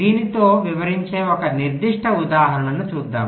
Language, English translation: Telugu, lets look at a very specific example